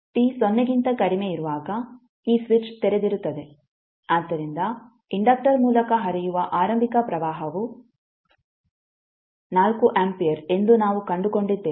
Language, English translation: Kannada, For t less than 0 this switch is open, so we found that the initial current which is flowing through inductor is 4 ampere